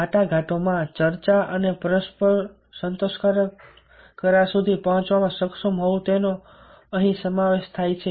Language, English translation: Gujarati, negotiating involves being able to discuss and reach a mutually satisfactory agreement